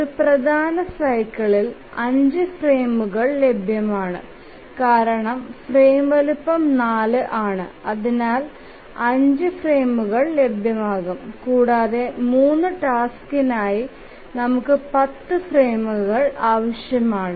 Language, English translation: Malayalam, And also if we think how many frames will be available in one major cycle we see that there are 5 frames because frame size is 4 and therefore there will be 5 frames that will be available and here for the 3 tasks we need 10 frames